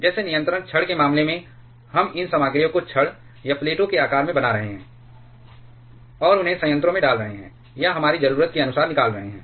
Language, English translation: Hindi, Like in case of control rods we are making these materials in the shape of rods or plates and inserting those into the reactor or removing as per our need